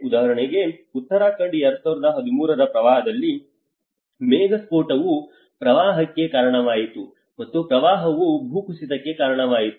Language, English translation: Kannada, Like for instance in Uttarakhand 2013 flood, a cloudburst have resulted in the floods, and floods have resulted in the landslides